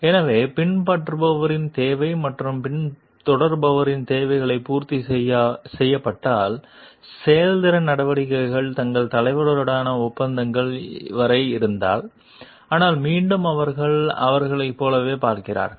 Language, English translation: Tamil, So, if the followers need or in which the followers needs are met if like the performance measures are up to the contracts with their leader, but again you see like them